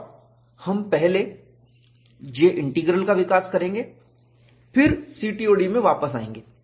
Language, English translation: Hindi, And we will first develop J Integral, then, get back to CTOD